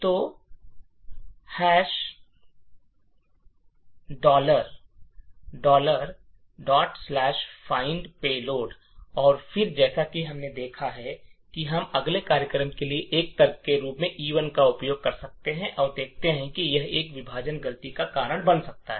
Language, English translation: Hindi, So, dot/findpayload and then as we have seen we can use E1 as an argument to our program vuln cat e1 and see that it has a segmentation fault